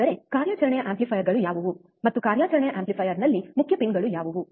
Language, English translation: Kannada, That is, what are the operational amplifiers, and what are the main pins in the operational amplifier